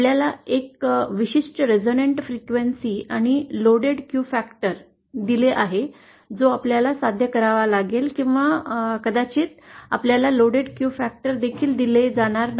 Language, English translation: Marathi, You are given a certain resonant frequency and the loaded Q factor that you might you have to achieve or you might not even be given the loaded Q factor